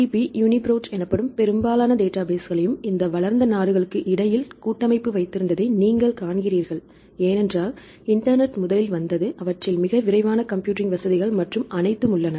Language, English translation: Tamil, You see most of the databases called PDB UniProt and all these databases right they have the consortium between all these developed countries, because internet came there first and they have very fast computing facilities and all